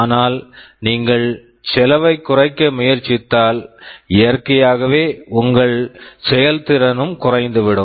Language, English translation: Tamil, But you see if you try to reduce the cost, naturally your performance will also go down, your ruggedness can also be compromised